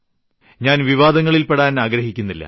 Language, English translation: Malayalam, Well, I don't want to embroil into this controversy